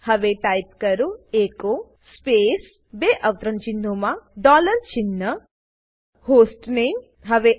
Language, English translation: Gujarati, Type echo space within double quotes dollar sign HOME Press Enter